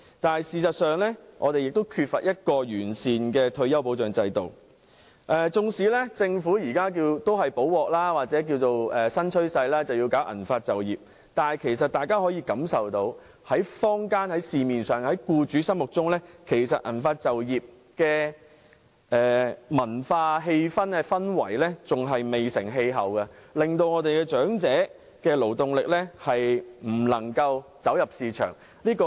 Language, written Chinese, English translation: Cantonese, 但事實上，我們缺乏完善的退休保障制度，即使政府現時亡羊補牢，推動銀髮就業，但大家可以感受到，在社會上和僱主心目中，銀髮就業的文化仍然未成氣候，令長者的勞動力未能走入市場。, In fact we lack a sound retirement protection system . Even though the Government now promotes silver hair employment as a belated remedy it is yet to gain acceptance in society and among employers as we can all see . Hence the labour force of the elderly is unable to enter the market